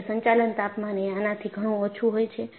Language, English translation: Gujarati, Because the operating temperature is far below this